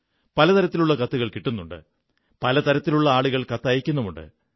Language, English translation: Malayalam, I get a variety of letters, written by all sorts of people